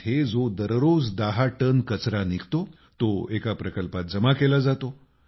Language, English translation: Marathi, Nearly 10tonnes of waste is generated there every day, which is collected in a plant